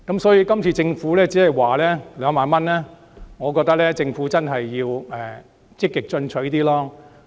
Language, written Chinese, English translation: Cantonese, 所以，今次政府寬減稅項以2萬元為上限，我覺得政府真的要積極進取一點。, Such being the case regarding the Governments proposal of imposing a 20,000 ceiling on the tax reductions I think the Government should really be more proactive